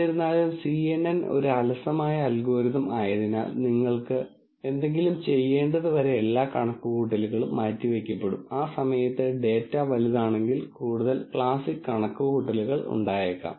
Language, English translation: Malayalam, However, since kNN is a lazy algorithm all the, all the calculations are deferred till you had actually have to do something, at that point there might be lot more classic, lot more calculations if the data is large